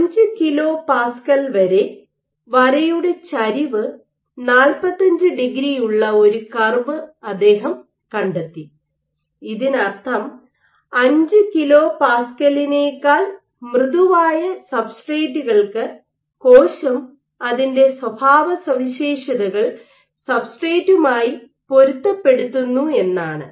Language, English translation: Malayalam, So, he found a curve where the slope of this line was 45 degree till 5 kPa, this means that for substrates which are softer than 5 kPa the cell actually matches its own properties to that of a substrate